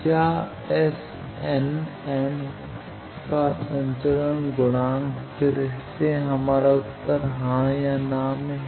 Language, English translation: Hindi, Is S n m is transmission coefficient again our answer is yes or no